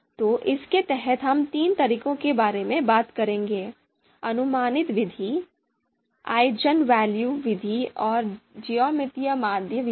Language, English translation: Hindi, So under this, we will talk about three methods: approximate method, Eigenvalue method and Geometric mean